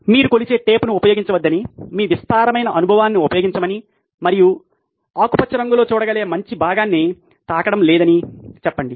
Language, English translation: Telugu, Let’s say you don’t use a measuring tape, use your vast experience and the good part that you can see in green is that there is no touching